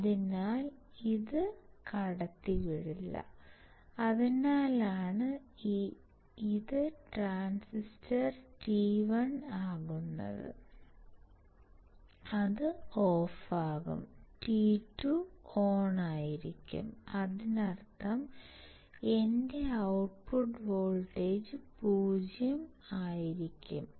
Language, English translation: Malayalam, So, this will not conduct, and that is why this will be my transistor t 1 and it would be off, and t 2 would be on and; that means, that my output voltage will be nothing but 0